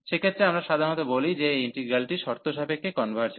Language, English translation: Bengali, In that case, we call usually that this integral converges conditionally